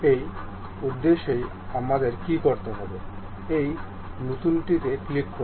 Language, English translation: Bengali, For that purpose, what we have to do, click this new